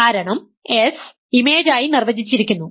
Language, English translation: Malayalam, S is defined to be the image